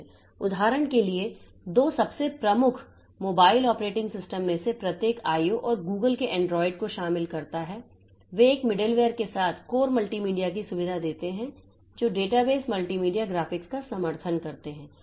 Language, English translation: Hindi, For example, each of the two most prominent mobile operating systems, Apple's iOS and Google's Android, they feature a core kernel along with a middleware that support database, multimedia, graphics, many more are there